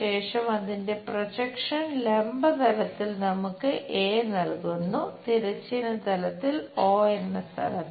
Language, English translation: Malayalam, Then, it is projection gives us a’ on the vertical plane on horizontal plane at 0 location